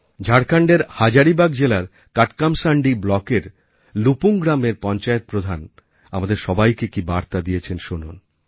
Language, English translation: Bengali, Come let's listen to what the Sarpanch of LupungPanchayat of Katakmasandi block in Hazaribagh district of Jharkhand has to say to all of us through this message